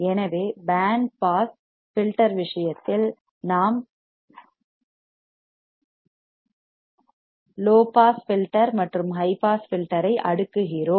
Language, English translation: Tamil, So, in case of band pass filter we were cascading low pass filter and high pass filter